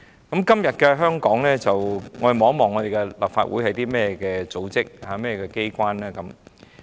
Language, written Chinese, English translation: Cantonese, 在今天的香港，立法會是一個怎樣的機關呢？, In Hong Kong what kind of an establishment is the Legislative Council?